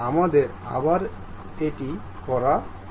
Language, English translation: Bengali, Let us do it once again